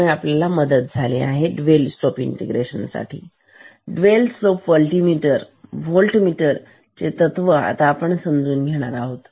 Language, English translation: Marathi, It is a help you to understand the principle of this dual slope integrator; dual slope voltmeter